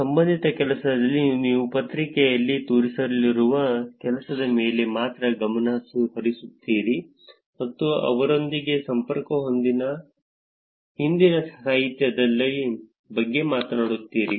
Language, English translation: Kannada, In related work, you focus on only the work that you are going to show in the paper and talk about past literature which are connected to that